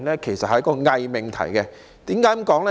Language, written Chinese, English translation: Cantonese, 這是一個偽命題，為何這樣說呢？, This is a false proposition . Why do I say so?